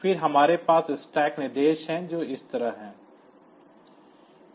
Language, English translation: Hindi, So, stack instructions are like this